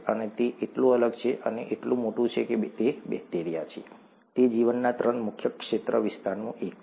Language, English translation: Gujarati, And it is so different, and so big that it is bacteria, is one of the three major domains of life, okay